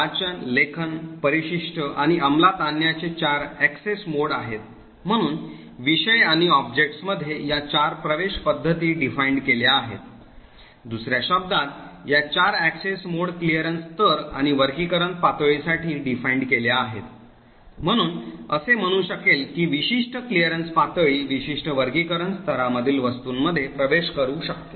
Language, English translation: Marathi, There are four access modes read, write, append and execute, so these four access modes are defined between subjects and objects, in another words these four access modes are defined for clearance levels and classification levels, so it would say that a subject with a certain clearance level can access objects in a certain classification level